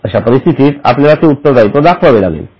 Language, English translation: Marathi, In such scenario also, we will have to show that liability